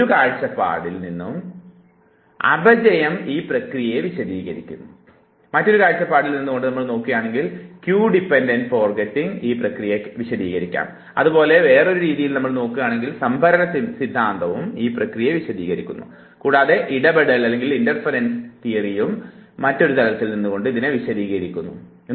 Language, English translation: Malayalam, Decay explains the process from one point of view, cue dependent forgetting explains it from a different point of view, storage system explains it from a different point of view, and the interference theory explains it is from a different point of view